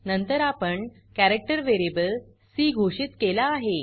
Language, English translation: Marathi, Then we have declared a character variable c